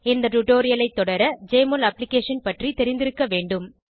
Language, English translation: Tamil, To follow this tutorial you should be familiar with Jmol Application